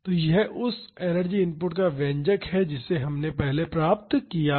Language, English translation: Hindi, So, this is the expression of the energy input we have derived earlier